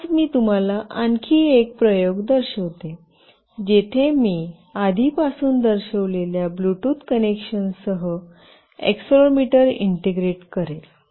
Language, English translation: Marathi, Today, I will show you another experiment, where I will integrate accelerometer along with the Bluetooth connection that I have already shown